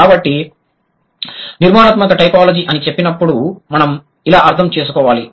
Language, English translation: Telugu, So when I say theoretical typology, what does it do